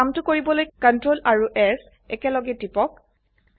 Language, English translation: Assamese, Press the CTRL+S keys together to do this